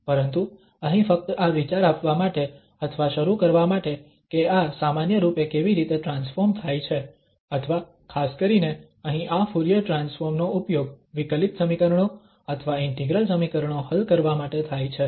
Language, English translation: Gujarati, But here just to give the idea or to begin with how these transforms in general indeed or in particular here this Fourier transform is used for solving the differential equations or integral equations